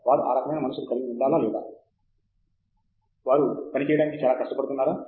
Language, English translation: Telugu, Should they have that kind of a mind set or should they be very, very hard working to be able to do research